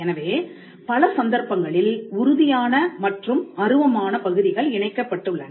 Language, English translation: Tamil, So, in many cases that tangible and the intangible parts are connected